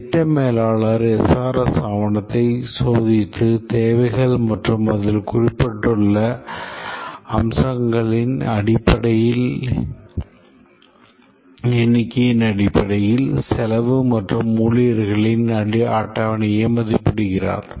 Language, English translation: Tamil, The project manager takes the SRS document and estimates the cost and schedule stops based on the number of features that are mentioned in the requirements and so on